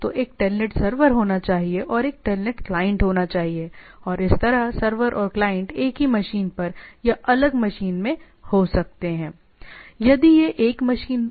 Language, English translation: Hindi, So, there should be a telnet server and there should be a telnet client and like this, right, the server and client can be on the same machine or in the different machine